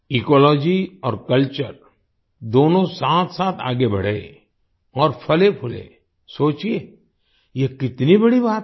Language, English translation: Hindi, If both Ecology and Culture grow together and flourish…, just imagine how great it would be